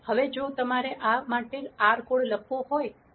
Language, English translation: Gujarati, Now if you want to write an r code for this